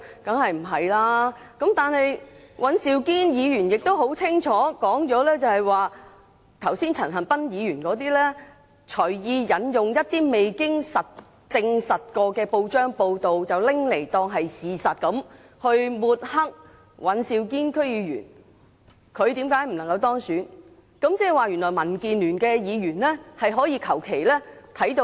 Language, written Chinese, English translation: Cantonese, 但是，尹兆堅議員清楚表明，陳恒鑌議員剛才隨意引用一些未經證實的報章報道，當作事實來抹黑尹兆堅議員，指出他不能夠當選的原因。, However Mr Andrew WAN stated clearly that Mr CHAN Han - pans arbitrary quotation of some not proven news reports as facts just now was meant to smear Mr Andrew WAN and claim those as the reasons for the latter being not elected